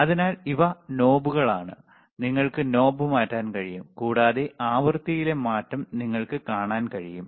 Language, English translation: Malayalam, So, these are knobs, you can you can change the knob, and you will be able to see the change in the frequency